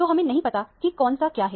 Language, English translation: Hindi, So, we do not know which one is which